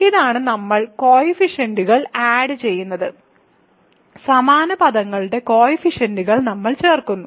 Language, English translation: Malayalam, So, this is the we add coefficients; we add the coefficients of like terms, so this is similar to this ok